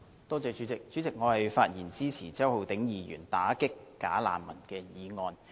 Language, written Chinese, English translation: Cantonese, 代理主席，我發言支持周浩鼎議員提出的"打擊'假難民'"議案。, Deputy President I speak in support of the motion on Combating bogus refugees moved by Mr Holden CHOW